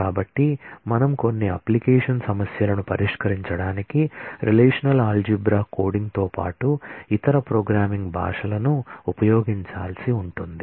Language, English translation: Telugu, So, we might need to use other programming languages along with the relational algebra coding for solving some of the application problems